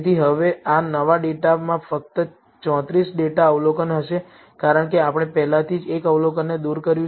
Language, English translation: Gujarati, So, now, this new data will contain only 34 data observations, because we have already removed one observation